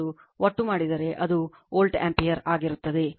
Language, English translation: Kannada, And total if you make, it will be volt ampere